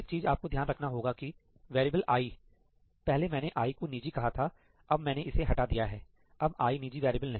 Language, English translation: Hindi, Another thing you should keep in mind is that this variable i , earlier I had mentioned i to be private, now I have removed this, i is no longer private